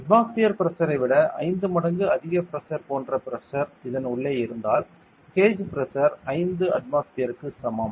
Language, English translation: Tamil, That much pressure that is like higher pressure 5 times the atmospheric pressure is inside this then the gauge pressure is equal to 5 atmospheres